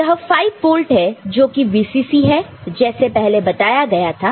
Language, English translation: Hindi, So, this is 5 volt that is the VCC that we have already mentioned